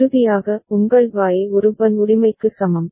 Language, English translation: Tamil, And finally, your Y is equal to An Bn right